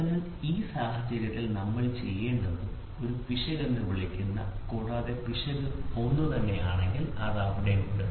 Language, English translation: Malayalam, So, in this case what we have to do is there is something called as an error and every time it is there if error is going to be the same